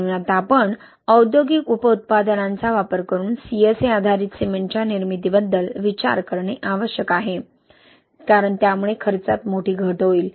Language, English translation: Marathi, So, now we need to think about the manufacturing of the CSA based cement using industrial byproducts, because that will drastically reduce the cost, okay